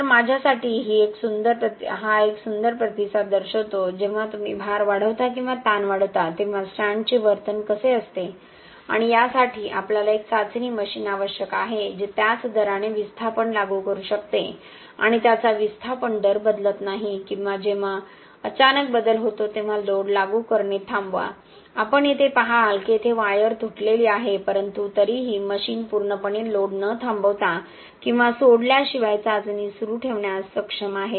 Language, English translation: Marathi, So this to me is a beautiful response showing, how the behaviour of the strand is as you increase the load or increase the strain okay and again for this we need a testing machine which can apply displacement at the same rate does not change its displacement rate or stop applying load when there is a sudden change, you see here that here wire is broken but still the machine is able to continue the test without stopping or releasing the load completely